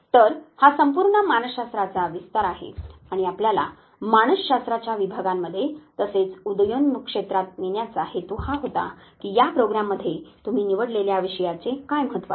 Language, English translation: Marathi, So, this is the full spectrum and the intention of know making you go through the division of psychology as well as the emerging fields was to realize that what is the importance of the subject that you have opted to go through in this very program